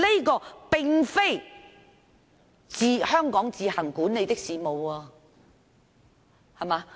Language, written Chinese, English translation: Cantonese, 這並非香港自行管理的事務。, This is not something that Hong Kong administers on its own